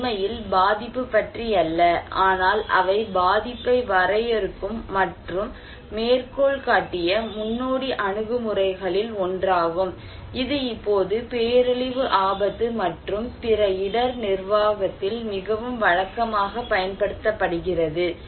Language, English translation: Tamil, It is not really on vulnerability, but they are one of the pioneering approach that define and quoted the vulnerability and which was now very regularly used in disaster risk and other risk management